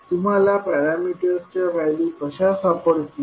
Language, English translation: Marathi, How you will find the values of parameters